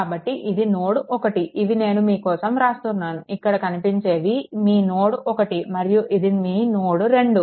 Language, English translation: Telugu, So, this is node 1 these I am making it I am making it for you, ah this is your node 1 and this is your node 2, right